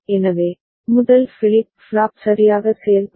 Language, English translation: Tamil, So, this is how the first flip flop will work right